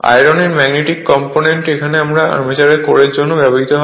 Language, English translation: Bengali, Iron being the magnetic material is used for armature core